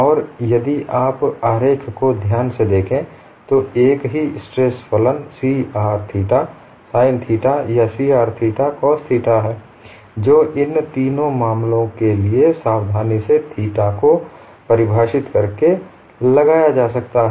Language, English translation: Hindi, And if you look at the diagram carefully, the same stress function C r theta sin theta or C r theta cos theta could be invoked for all these three cases, by carefully defining theta; theta is defined from the reference point as the loading